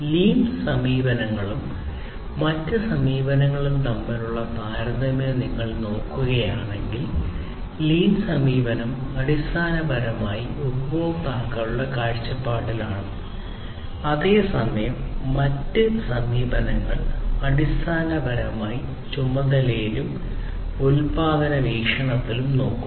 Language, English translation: Malayalam, So, if you look at the comparison of lean approach versus other approaches, lean approach is basically look from the customers’ perspective, whereas other approaches basically look from the task and production perspective